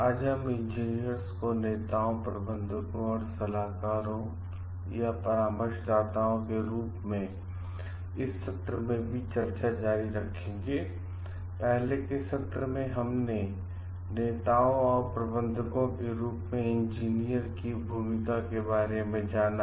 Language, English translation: Hindi, So, when we are talking of leaders and consultants an engineer s role as leaders and consultants in the earlier class we have discussed about the role of engineers as managers